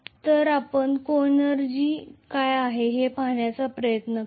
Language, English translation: Marathi, So let us try to look at what is coenergy